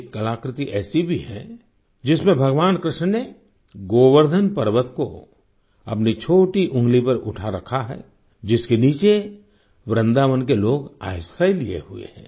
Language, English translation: Hindi, There is an artifact as well, that displays the Govardhan Parvat, held aloft by Bhagwan Shrikrishna on his little finger, with people of Vrindavan taking refuge beneath